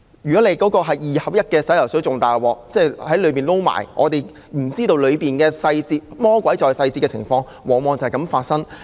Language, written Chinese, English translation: Cantonese, 如果那是二合一洗髮水便更糟糕，我們不知道當中的細節，魔鬼在細節的情況往往便是這樣發生。, The situation will turn sour if it is a two - in - one shampoo―the devil is always in the details that we are not aware of